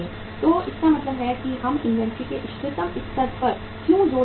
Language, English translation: Hindi, So it means that is why we are emphasizing upon, optimum level of inventory